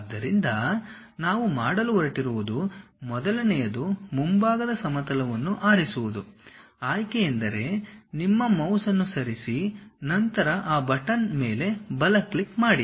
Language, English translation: Kannada, So, first thing what we are going to do is pick the front plane; pick means just move your mouse, then give a right click of that button